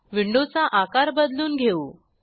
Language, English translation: Marathi, Let me resize the windows